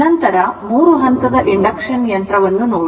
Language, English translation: Kannada, Then, 3 phase induction machine